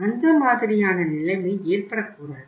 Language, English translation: Tamil, So that kind of the situation should not arise